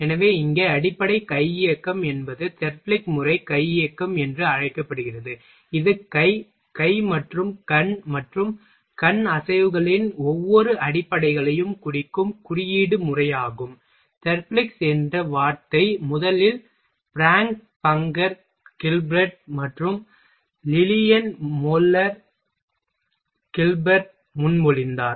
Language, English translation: Tamil, So, here fundamental hand motion that is Therblig’s analysis also called hand motion ok, that is a system of symbol that represent every elementary of hand, and arm, and eye movements the word Therblig’s was first proposed by frank bunker Gilberth and Lillian Moller Gilberth